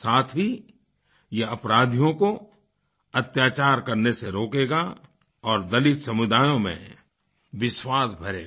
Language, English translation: Hindi, This will also forbid criminals from indulging in atrocities and will instill confidence among the dalit communities